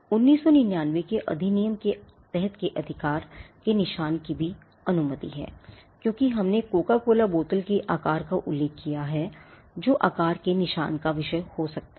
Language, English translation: Hindi, The shape marks are also allowed under the 1999 act as we just mentioned the Coca Cola bottle shape can be a subject matter of shape mark